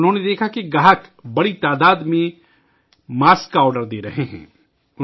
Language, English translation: Urdu, He saw that customers were placing orders for masks in large numbers